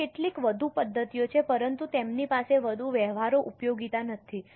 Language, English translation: Gujarati, There are some more methods but they don't have much of practical utility